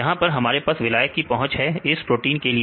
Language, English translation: Hindi, So, here we have a solvent accessibility with this is the protein